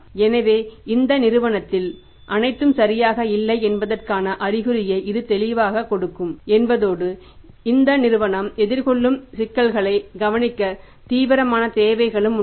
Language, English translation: Tamil, So, it means it will be clearly giving indication that all is not well in this firm and there is some serious need to look into the problems this firm may be facing or is facing